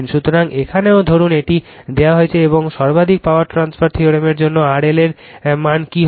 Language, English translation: Bengali, So, here also suppose this is given and then what will be your value of R L for the maximum power transfer theorem right